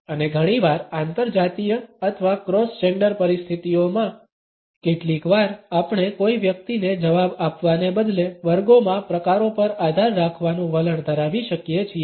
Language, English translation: Gujarati, And often in interracial or cross gender situations sometimes we may tend to rely upon categories in classes instead of responding to an individual